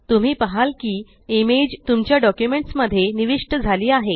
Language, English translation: Marathi, You will see that the image gets inserted into your document